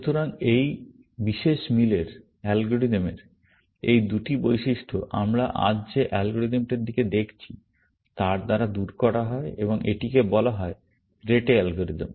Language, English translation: Bengali, So, these two properties of this particular match algorithm are done away with by the algorithm that we are looking at today, and it is called the Rete algorithm